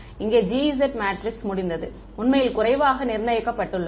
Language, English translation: Tamil, This G S matrix over here is actually underdetermined ok